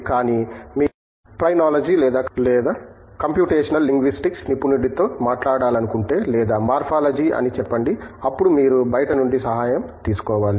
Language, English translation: Telugu, But, if you want to talk to a specialist in Phrenology or Computational Linguistics or letÕs say Morphology, then you have to seek help from outside